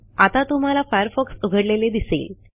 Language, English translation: Marathi, Now you can see that firefox is open